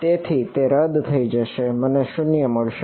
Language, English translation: Gujarati, So, it will cancel off I will get 0